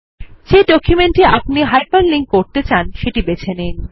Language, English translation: Bengali, Select the document which you want to hyper link